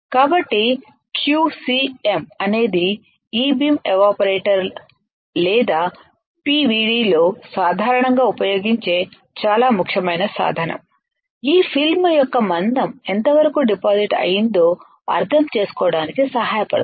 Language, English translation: Telugu, So, Q cm is extremely important tool used within the E beam evaporator or PVD in general to understand how much thickness of the film has been deposited alright